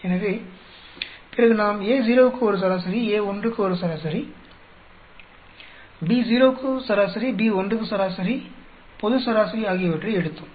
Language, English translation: Tamil, So, then we did an average for A naught, average for A1, average for B naught, average for B1, global average